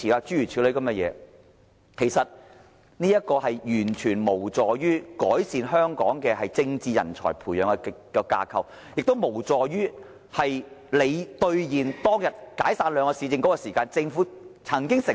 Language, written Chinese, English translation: Cantonese, 這種做法完全無助於改善本港培養政治人才的架構，亦無助於政府兌現當天解散兩個市政局時所作的承諾。, Such practices are not conducive to enhancement of the local framework for nurturing political talents nor will it be conducive to the fulfilment of the promises made by the Government at the dissolution of the two Municipal Councils